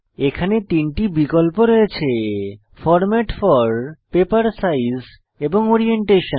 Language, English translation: Bengali, There are 3 options here Format for, Paper size and Orientation